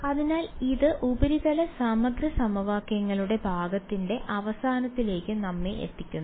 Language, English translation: Malayalam, So, that brings us to on end of the part of surface integral equations